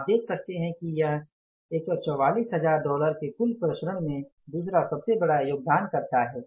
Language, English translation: Hindi, You can if you see this, this is the second largest contributor in the total variances of $144,000